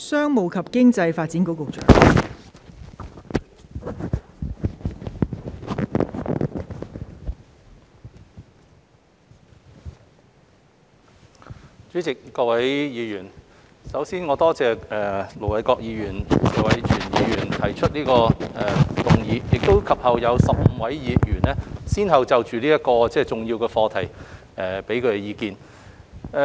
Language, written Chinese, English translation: Cantonese, 代理主席、各位議員，首先，我感謝盧偉國議員和謝偉銓議員提出動議，以及15位議員先後就這個重要的課題發表意見。, Deputy President Honourable Members first of all I would like to thank Ir Dr LO Wai - kwok for moving the original motion and Mr Tony TSE for proposing the amendment and I am grateful to the 15 Members who have given their views on this important subject